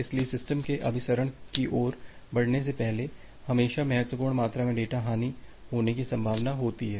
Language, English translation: Hindi, So, before the systems moves to the convergence there is always a possibility of having a significant amount of data loss